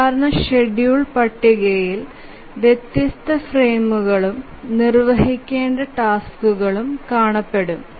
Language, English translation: Malayalam, So, typical schedule table would look like the different frames and the tasks that are to be executed